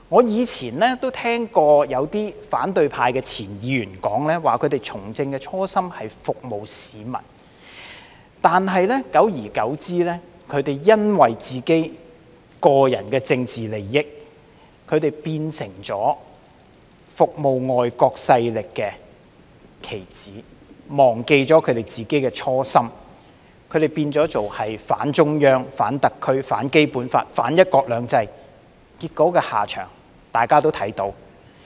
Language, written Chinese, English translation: Cantonese, 以往我曾聽過有些反對派前議員說，他們從政的初心是服務市民；但久而久之，他們為了個人的政治利益，變成為服務外國勢力的棋子，忘記他們自己的初心，變成反中央、反特區、反《基本法》、反"一國兩制"，結果他們的下場，大家也看到。, In the past I have heard some former opposition Members say that their original political aspiration is to serve the public . However over time they have become pawns working for foreign powers in order to serve their own political interests forgetting their original aspiration and taking a stance against the Central Authorities against the Special Administrative Region against the Basic Law and against one country two systems . The dire consequences for them are evident for us to see